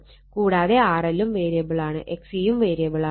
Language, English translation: Malayalam, And both variable R L V also variable X is also variable